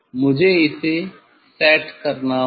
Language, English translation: Hindi, I have to set it